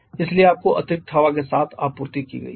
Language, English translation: Hindi, Therefore you have been supplied with excess air